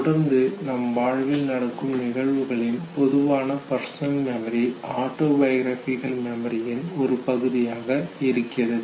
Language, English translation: Tamil, And therefore the generic personal memory of the repeated events that can also become a part of the autobiographical memory